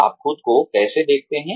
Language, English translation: Hindi, How do you see yourself